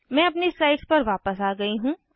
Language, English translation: Hindi, I have come back to the slides what to do next